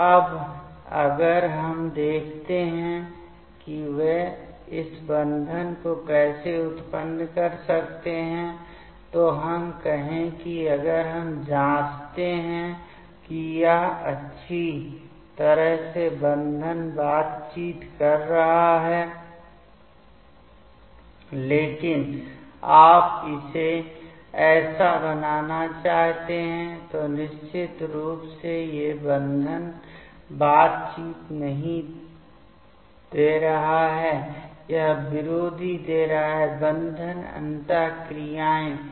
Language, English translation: Hindi, So, now if we see that how they can generate this bonding let us say if we check it is nicely making bonding interaction ok, but you want to make like this definitely this is not giving the bonding interactions rather, this is giving the anti bonding interactions